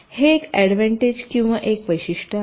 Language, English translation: Marathi, this is one advantage or one feature